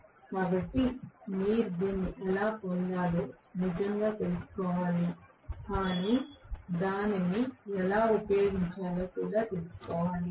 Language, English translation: Telugu, So, you should actually know how to derive this but also know how to use it, okay